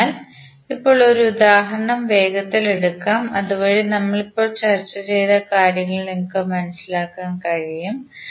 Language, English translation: Malayalam, So now let us take one example quickly so that you can understand what we discussed till now